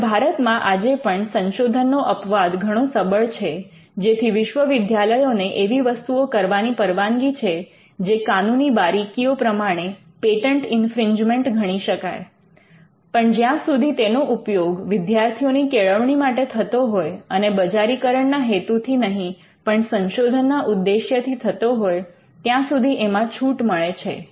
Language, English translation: Gujarati, So, in India we still have a strong research exception, universities are allowed to do things that could technically amount to patent infringement; so far as they are instructing their students and it is done with research objectives not with commercial objectives